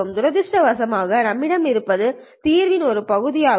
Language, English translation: Tamil, Unfortunately, what we have is just one part of the solution